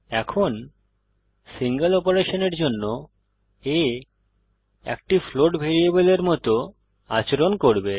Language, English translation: Bengali, Now a will behave as a float variable for a single operation